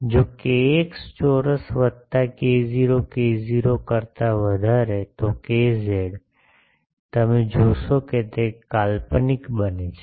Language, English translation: Gujarati, If k x square plus k y greater than k not, then k z, you see k z it becomes imaginary